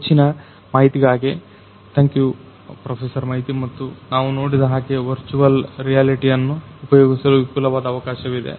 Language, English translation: Kannada, Thank you Professor Maiti for adding to the information that we already have and so as we have seen that there is enormous potential of the use of virtual reality